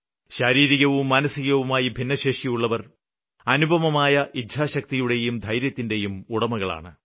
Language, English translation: Malayalam, People with physical and mental disabilities are capable of unparalleled courage and capability